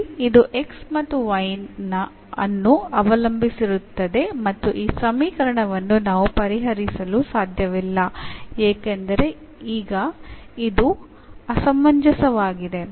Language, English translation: Kannada, So, here this depends on x and y, and we cannot solve this equation because this is inconsistent now